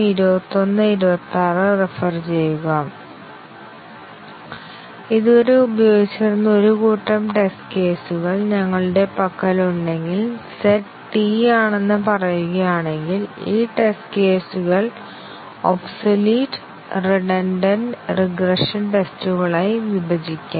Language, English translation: Malayalam, If we had a set of test cases which were used so far and let us say, the set is T, then, we can roughly partition this test cases into obsolete, redundant and the regression tests